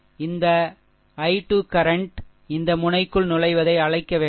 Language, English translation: Tamil, This i 2 current actually is your what to call entering into this node